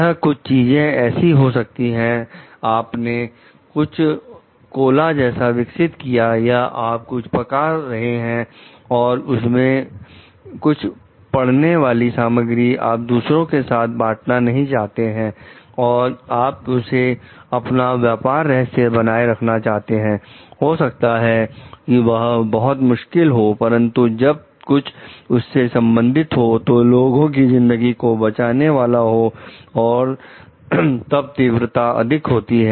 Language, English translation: Hindi, If it would have been something like maybe it is like, you are developing some cola or you are cooking something and there are certain ingredients that you don t want to like share it with others and you want to keep it as a trade secret maybe it is different, but when it is something which is linked with your saving the life of people and the intensity is so, high